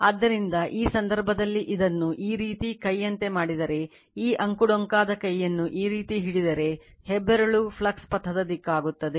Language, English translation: Kannada, So, in this case if you make it like this by right hand, if you grab this way your what you call this winding by right hand, then thumb will be the direction of the flux path